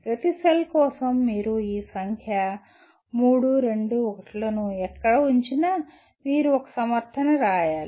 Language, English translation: Telugu, For each cell wherever you put this number 3, 2, 1 you have to give a you have to write a justification